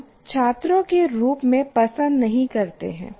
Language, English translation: Hindi, And so mostly we did not like it as students